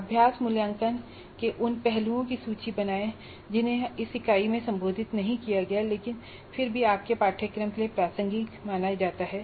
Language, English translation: Hindi, So, a couple of exercises for you list aspects of assessment not addressed in this unit but still considered relevant to your course